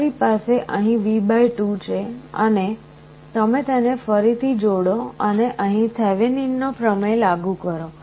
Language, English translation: Gujarati, So, you have V / 2 here and you combine this again apply Thevenin’s theorem here